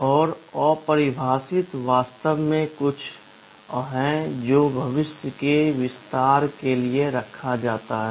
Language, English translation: Hindi, And undefined is actually something which is kept for future expansion